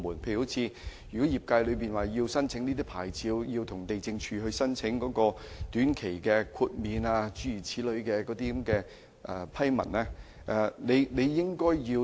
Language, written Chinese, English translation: Cantonese, 舉例而言，如果業界需要申請有關牌照，或須向地政總署申請短期豁免批文。, For example an industry operator who needs to apply for a licence may be required to apply to the Lands Department LandsD for a temporary waiver